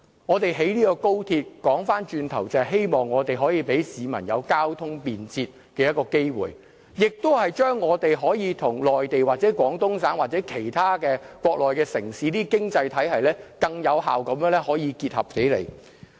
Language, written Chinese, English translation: Cantonese, 我們興建高鐵就是希望可以為市民提供便捷的交通，也是讓我們可以跟內地、廣東省或其他國內城市的經濟體系更有效結合起來。, The purpose of the construction of the XRL is to provide Hong Kong people with a more convenient transport mode so as to enable the city to more effectively integrate with the economies of the Guangdong province and of other Mainland cities